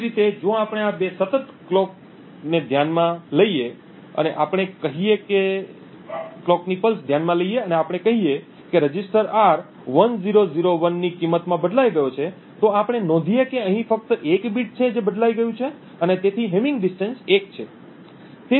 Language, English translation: Gujarati, Similarly, if we consider these two consecutive clock pulses and let us say that the register R has changed to a value of 1001, we note that here there is only one bit that has been changed and therefore the hamming distance is 1